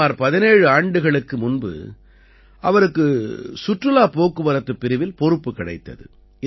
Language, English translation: Tamil, About 17 years ago, he was given a responsibility in the Sightseeing wing